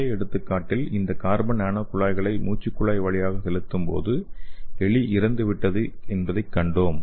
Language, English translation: Tamil, So in the previous example we have seen that when you inject this carbon nano tubes through intratraqueal administration what happens is, that rat is died, okay